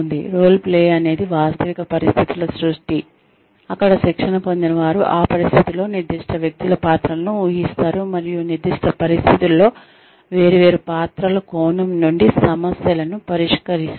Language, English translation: Telugu, Role playing is the creation of realistic situations, where trainees assume the parts of specific persons in that situation, and then solve problems, from the perspective of different players, in specific situations